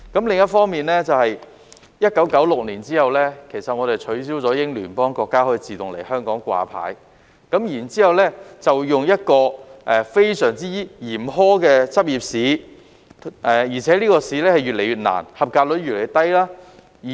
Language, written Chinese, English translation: Cantonese, 另一方面，自1996年後，我們取消英聯邦國家醫生可以在香港自動掛牌的安排，然後採用一個非常嚴苛的執業試，而且這個考試越來越難、及格率越來越低。, On the other hand since 1996 Commonwealth doctors are no longer allowed to be automatically licensed for practice in Hong Kong and we have introduced a very demanding and increasingly difficult Licensing Examination the passing rate of which is in decline